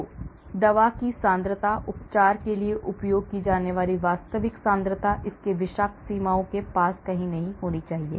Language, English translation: Hindi, So, the concentration of the drug, the actual concentration that is used for treatment should be nowhere near its toxic limits